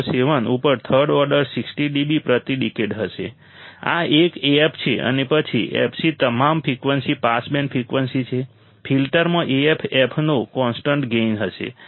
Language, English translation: Gujarati, 707 Af, this one right and after fc all frequencies are pass band frequencies the filter has a constant gain of Af